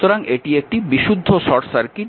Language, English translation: Bengali, So, it is a pure short circuit